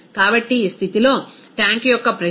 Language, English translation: Telugu, So, at this condition, the pressure of tank is 71